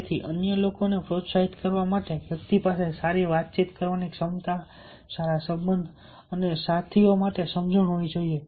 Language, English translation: Gujarati, so to motivate others should have a good communication ability, good relationship and understanding for the fellow glees